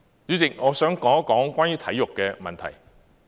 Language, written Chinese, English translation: Cantonese, 主席，我想說一說關於體育的問題。, President I would like to talk about the issues related to sports